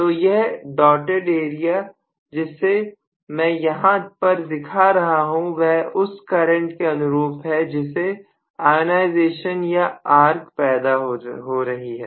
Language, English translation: Hindi, So this is going to so this particular dotted portion what I am showing is the current due to ionization or arc